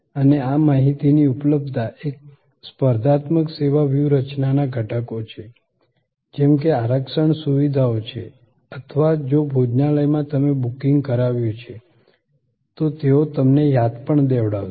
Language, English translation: Gujarati, And these, availability of these information are elements of competitive service strategy as are reservation facilities or if the reservation has been done, then remainder from the restaurant to the customer